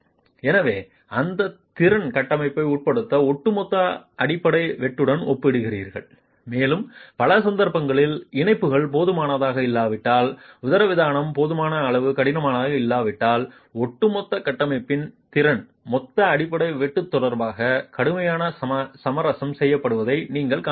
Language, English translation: Tamil, So, you will compare that capacity to the overall base shear that the structure is being subjected to and you will see that in many cases if the connections are not adequate, if the diaphragm is not adequately stiff, the overall structure's capacity is severely compromised with respect to the total base share that the structure will be able to resist